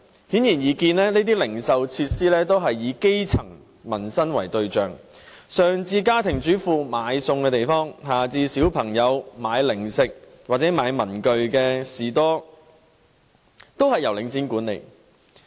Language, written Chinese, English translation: Cantonese, 顯而易見，這些零售設施也是以基層民生為對象，上至家庭主婦買餸的地方，下至小朋友買零食或文具的士多，都是由領展管理。, It is obvious that these retail facilities all cater to the needs of the grass roots and they range from places where housewives buy food to prepare meals to stores where kids buy snacks or stationery . They are all managed by Link REIT